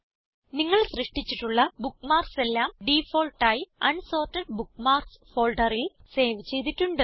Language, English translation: Malayalam, By default all the bookmarks that you created are saved in the Unsorted Bookmarks folder